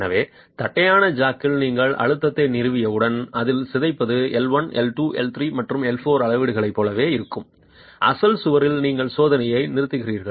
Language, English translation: Tamil, So, once you have established the pressure in the flat jack at which the deformation is same as the measurements L1, L2, L4 are same as in the original wall, you stop the test